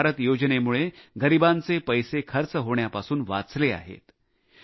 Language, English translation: Marathi, The 'Ayushman Bharat' scheme has saved spending this huge amount of money belonging to the poor